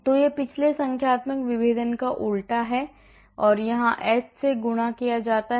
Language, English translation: Hindi, So, this is the reverse of the previous numerical differentiation and then I multiplied by h here